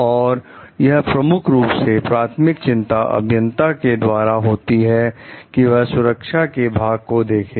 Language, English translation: Hindi, So, it becomes primary concern for the engineers to look after the safety part